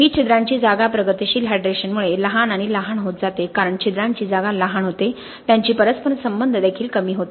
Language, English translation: Marathi, These pores spaces as progressive hydration happens tend to become smaller and smaller, as the pores spaces become smaller their interconnectivity also reduces